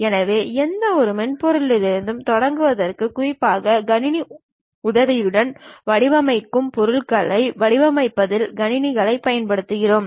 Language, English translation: Tamil, So, to begin with any software, we use that to design and draft the things especially we use computers to use in designing objects that kind of process what we call computer aided design